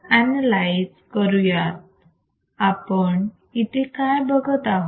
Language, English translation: Marathi, So,, what do we see here